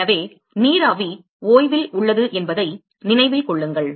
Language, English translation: Tamil, So, remember that vapor is at a at rest